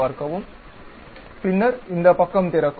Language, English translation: Tamil, Then this page opens up